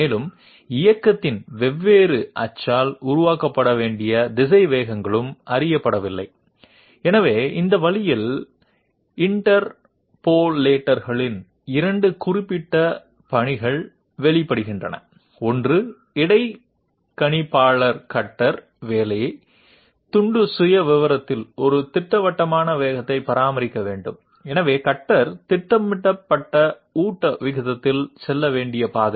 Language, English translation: Tamil, Also, the velocities that are supposed to be developed by the different axis of motion that is also not known, so this way two specific tasks of the interpolator emerges; one is the interpolator has to make the cutter maintain a definite velocity rate of velocity along the profile of the work piece, so along the path the cutter has to move at the feed rate program